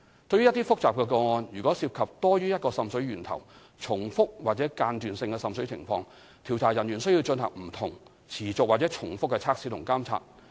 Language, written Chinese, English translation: Cantonese, 對於一些複雜的個案，如果涉及多於一個滲水源頭、重複或間斷性的滲水情況，調查人員須進行不同、持續或重複的測試及監察。, For complicated cases which for instance involve multiple seepage sources recurring or intermittent water seepage JO staff will have to conduct different ongoing or repeated tests and monitoring